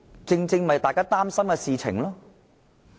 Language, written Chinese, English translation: Cantonese, 這正是大家擔心的事情。, This is precisely our concern